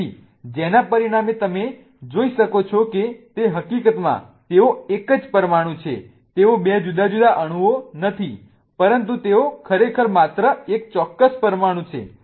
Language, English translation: Gujarati, So, as a result of which what you can see is that in fact they are the same molecule, they are not two different molecules but they are really just one particular molecule